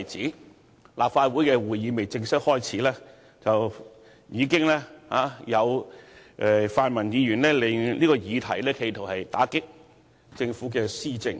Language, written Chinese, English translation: Cantonese, 當立法會的會議尚未正式開始之際，已有泛民議員企圖利用這議題來打擊政府的施政。, Before the official commencement of meetings of the Legislative Council Members from the pan - democratic camp attempted to use this issue to undermine the administration of the Government